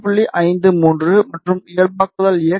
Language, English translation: Tamil, 5 3 and normalize x is 0